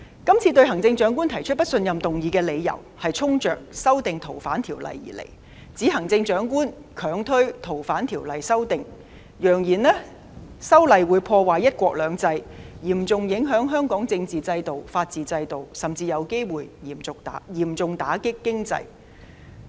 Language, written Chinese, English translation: Cantonese, 這次對行政長官提出不信任議案的理由是衝着《逃犯條例》而來，指行政長官強推《逃犯條例》的修訂，揚言修例會破壞"一國兩制"，嚴重影響香港的政治和法治制度，甚至有機會嚴重打擊經濟。, The reason for them to propose this motion of no confidence in the Chief Executive is obviously the Fugitive Offenders Ordinance FOO . They allege that the Chief Executive has been bulldozing the amendment of FOO through the Legislative Council asserting that the legislative amendment would undermine one country two systems seriously affect Hong Kongs political and rule of law systems or might even deal a severe blow to the economy